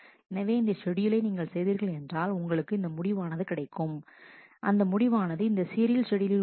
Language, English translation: Tamil, So, if you if you do this schedule, you will get a result which is a result of this serial schedule which is T 3, T 1, T 4, T 2, T 5